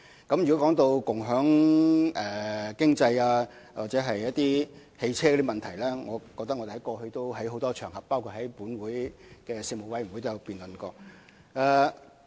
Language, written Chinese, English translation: Cantonese, 關於共享經濟或共享汽車的問題，我們過去已在多個場合，包括立法會的事務委員會會議上進行多次辯論。, Speaking of issues like the sharing economy and car - sharing I can remember that we have discussed them many times on different occasions including the meetings of the relevant Legislative Council Panel